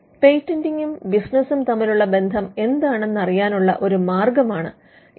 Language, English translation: Malayalam, So, you will be able to see the connect between patenting as a business activity